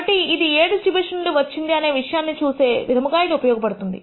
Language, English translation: Telugu, So, this is useful for visually figuring out from which distribution did the data come from